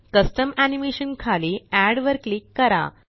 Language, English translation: Marathi, Under Custom Animation, click Add